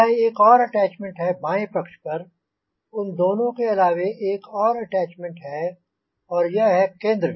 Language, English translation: Hindi, in addition to these two attachments, there is one more attachment and this center